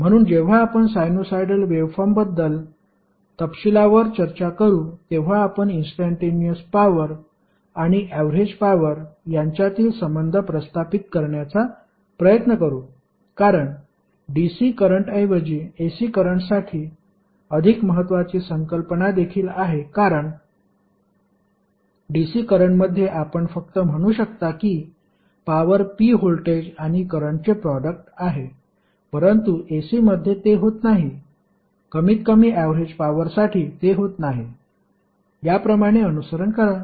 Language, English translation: Marathi, So, when we will discuss in detail the sinusoidal waveforms we will try to establish the relation between instantaneous power and average power because that is also the important concept which is more important for ac currents rather than dc currents because in dc currents you can simply say that power p is nothing but a product of voltage and current but in ac it does not atleast for average power it does not follow like this